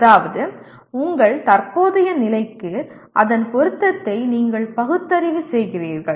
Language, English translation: Tamil, That means you kind of rationalize its relevance to your present state